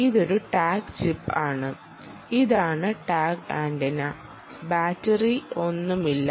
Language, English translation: Malayalam, this is a tag chip chip and this is the tag antenna